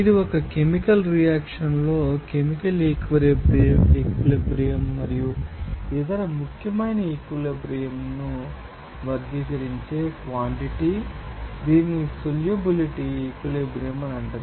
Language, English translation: Telugu, This is a quantity that will be characterized a chemical equilibrium in a chemical reaction and other important equilibrium it is called solubility equilibrium